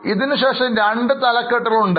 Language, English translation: Malayalam, After that there are two more headings